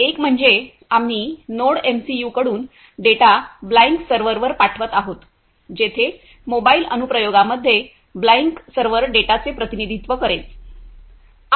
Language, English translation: Marathi, First one is we are sending the data from the NodeMCU to the Blynk server where the Blynk, Blynk server will represent the data in a mobile application